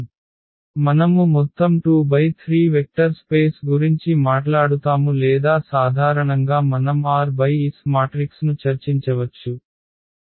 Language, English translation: Telugu, This example where we are talking about the vector space of all 2 by 3 or in general also we can discuss like for r by s matrices